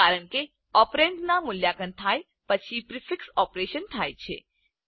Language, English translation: Gujarati, This is because a prefix operation occurs before the operand is evaluated